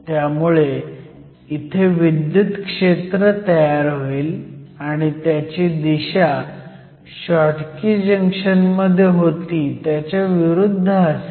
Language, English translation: Marathi, So, an electric field will again be setup and the field will be in the direction opposite to that of a Schottky Junction